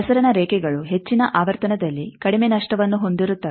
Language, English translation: Kannada, Transmission lines are less lossy at higher frequency